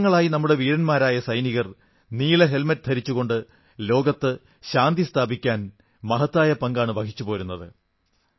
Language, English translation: Malayalam, For decades, our brave soldiers wearing blue helmets have played a stellar role in ensuring maintenance of World Peace